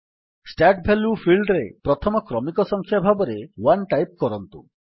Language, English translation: Odia, In the Start value field, we will type the first serial number, that is, 1